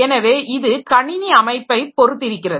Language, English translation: Tamil, So, it is dependent on the computer system organization